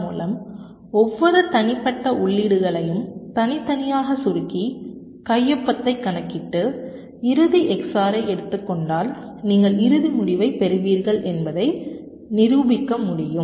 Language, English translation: Tamil, so means if you compact um each of the individual inputs separately, compute the signature and take the xor of the final, you will be getting the final result at the end